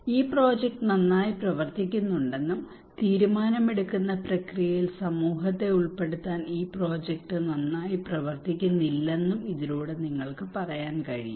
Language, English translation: Malayalam, Through which you can tell okay this project is working well, and this project is not working well to involving community into the decision making process